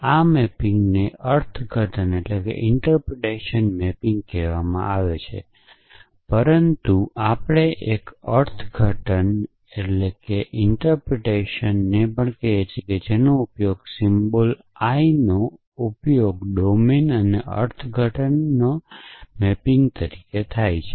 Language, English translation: Gujarati, So, this mapping is called interpretation mapping, but we also call an interpretation that is use the symbol I is defined as a domain and an interpretation mapping